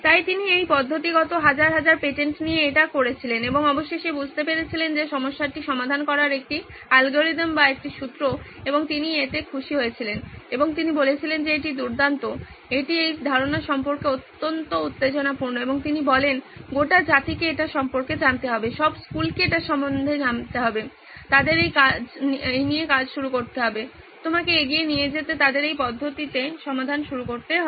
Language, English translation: Bengali, So he did that very methodically with thousands and thousands of these patents and finally figured out that a way an algorithm or a formula to actually solve the problem and he was happy about it and he said this is great this is extremely excited about this idea and he said the whole nation has to know about this, all the schools have to know about this they have to start doing this, they have to start embarking on this method